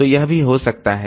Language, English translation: Hindi, So that is one